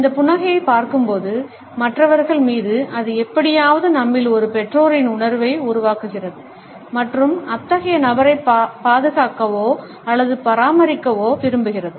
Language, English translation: Tamil, When we look at this smile, on other people it generates somehow a parental feeling in us and making us want to protect or to care for such a person